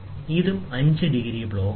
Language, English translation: Malayalam, So, this is also a 5 degree block